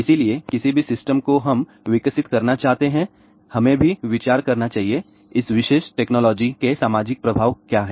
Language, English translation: Hindi, So, any system we want to develop, we must also consider; what are the social effects of this particular technology